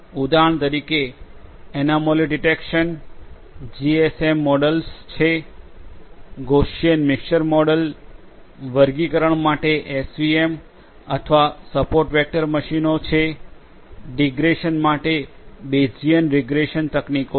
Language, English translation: Gujarati, For example, for anomaly detection GMM models are there – Gaussian Mixture Models, for classification SVM or Support Vector Machines are there, for digression Bayesian regression techniques are there